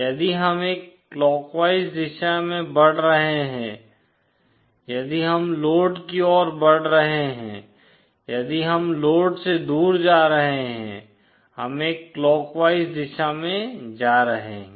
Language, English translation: Hindi, If we are moving in a clockwise direction if we are moving towards the load, if we are going away from the load, we are moving in a clockwise direction